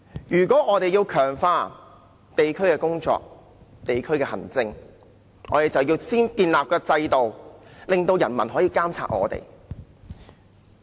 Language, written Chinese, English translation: Cantonese, 如果我們要強化地區工作、地區行政，就要先建立制度，令人民可以監察我們。, If we want to enhance district work and district administration we must first set up a system for the people to monitor us